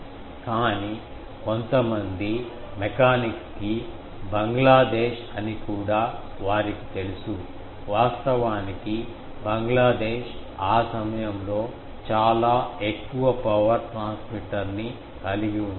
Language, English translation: Telugu, But some mechanics they knew that Bangladesh also can be, actually Bangladesh had a very high power transmitter that time